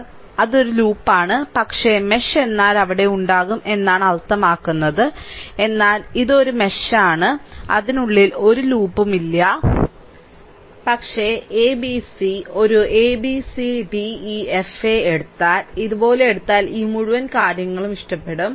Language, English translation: Malayalam, So, it is a loop, but it mesh means there will be there, but this one and this one; it is a mesh, there is no loop within that, but if you take a b c like a b c d e f a, I will like this whole thing if you take like this